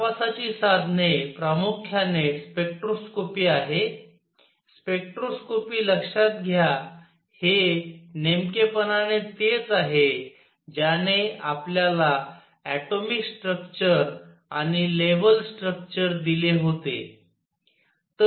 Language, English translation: Marathi, The tools for investigation are mainly spectroscopy, spectroscopy remember this is precisely what gave us the atomic structure the level structure